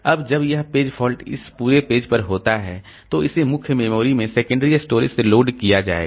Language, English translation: Hindi, Now when this page fault occurs this entire page it will be loaded from secondary storage into main memory